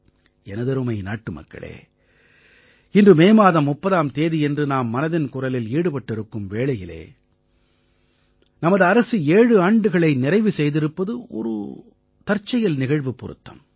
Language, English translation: Tamil, My dear countrymen, today on 30th May we are having 'Mann Ki Baat' and incidentally it also marks the completion of 7 years of the government